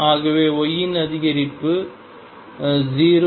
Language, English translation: Tamil, Now I can vary y between 0 and 1